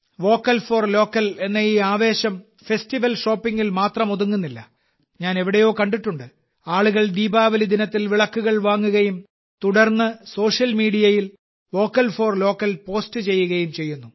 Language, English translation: Malayalam, But you will have to focus on one more thing, this spirit for Vocal for Local, is not limited only to festival shopping and somewhere I have seen, people buy Diwali diyas and then post 'Vocal for Local' on social media No… not at all, this is just the beginning